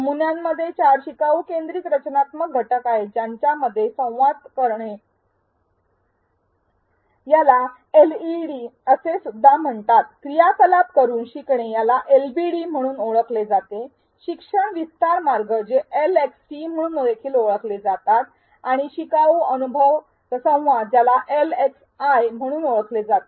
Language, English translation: Marathi, The model consists of four learner centric structural elements including Learning Dialogues also known as LeDs, Learning by Doing activities also known as LbDs, Learning Extension Trajectories also known as LxTs and Learner Experience Interactions also known as LxIs